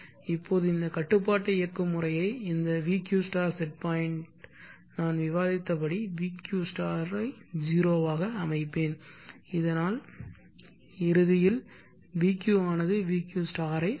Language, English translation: Tamil, value I can take it up and then connected here, now this vq start set point for this control mechanism will set pq start to 0 as I discussed so that eventually vq will reach vq*